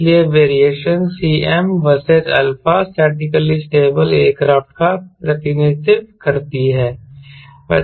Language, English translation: Hindi, so this, variations cm versus alpha, represents statically stable aircraft